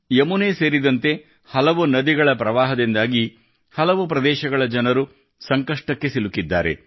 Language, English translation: Kannada, Owing to flooding in many rivers including the Yamuna, people in many areas have had to suffer